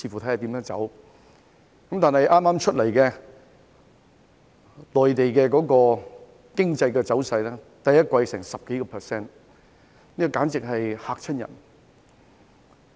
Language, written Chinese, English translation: Cantonese, 但是，據剛公布的內地經濟走勢，其第一季增長超過 10%， 簡直嚇人一跳。, However according to the economic conditions of the Mainland published earlier its growth rate in the first quarter exceeded 10 % which is simply astonishing